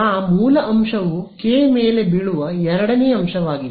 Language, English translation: Kannada, Source point is the second element falling on K